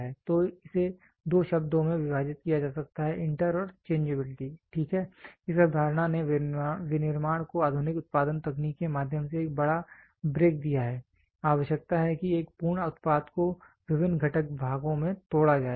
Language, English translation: Hindi, So, this can be split into 2 words inter and changeability, ok, this concept gave me gave manufacturing a big break through modern production technique require that a complete product be broken into various component parts